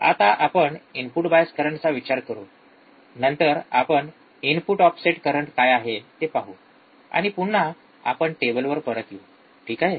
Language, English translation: Marathi, We will just consider, right now input bias current, then we will see what is input offset current, and then we will come back to the table, alright